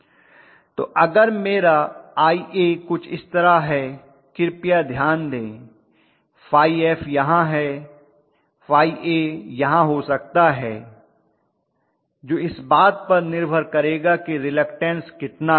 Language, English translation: Hindi, So if my Ia is somewhat like this then please note phi f is here, phi a may be somewhere here depending upon what is the reluctance offered and so on and so forth